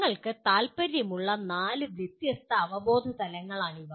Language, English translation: Malayalam, These are the four different cognitive levels we are concerned with